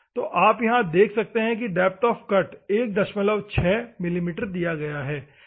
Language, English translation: Hindi, So, you can see here, the depth of cut is given 1